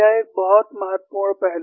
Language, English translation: Hindi, There is a very important aspect